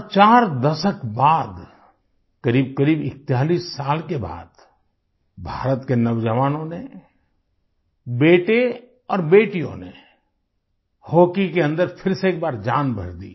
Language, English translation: Hindi, And four decades later, almost after 41 years, the youth of India, her sons and daughters, once again infused vitality in our hockey